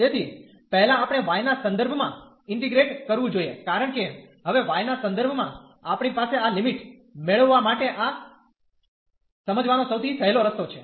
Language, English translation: Gujarati, So, first we have to integrate with respect to y, because now with respect to y we have so for getting this limit this is the easiest way to understand